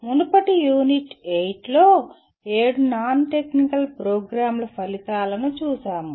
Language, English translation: Telugu, We looked at in the previous Unit 8, the seven non technical Program Outcomes